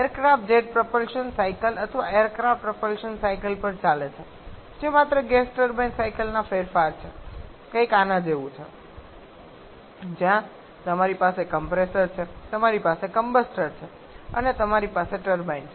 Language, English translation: Gujarati, And second options aircraft propulsion the aircraft runs on the jet propulsion cycle or aircraft propulsion cycles which are just modifications of the gas turbine cycles something like this where you have the compressor you have the combustor you have the turbine